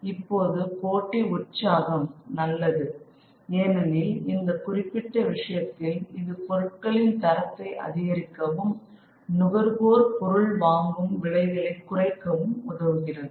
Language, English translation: Tamil, Now, within the spirit of competition, that would be fine because in this particular case, the competition is going to increase the quality of goods and reduce the prices for the consumer